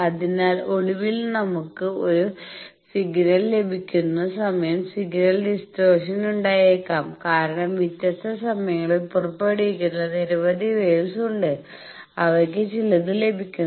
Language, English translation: Malayalam, So, when finally, we are getting the signal that time we are getting a distortion in may get a distortion in the signal because, so many waves which are emitted at different times they are getting some